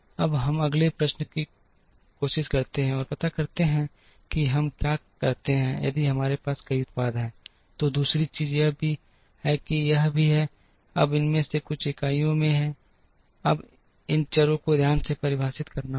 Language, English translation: Hindi, Now, we try and address the next question, what we do if we have multiple products the other thing at we also see is this, now some of these are in units, now we have to define these variables carefully